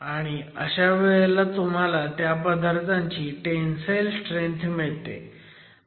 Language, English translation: Marathi, It gives you the tensile strength of the material